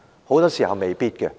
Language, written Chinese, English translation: Cantonese, 很多時候是未必。, On many occasions it may not be the right one